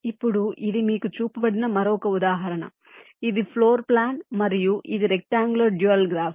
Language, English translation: Telugu, you are shown this, a floor plan, and this is the rectangular dual graph